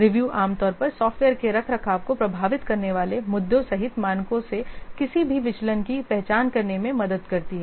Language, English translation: Hindi, Review usually helps to identify any deviation from the standards including the issues that might affect maintenance of the software